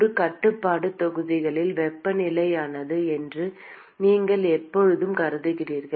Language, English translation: Tamil, In a control volume, you always assume that the temperature is constant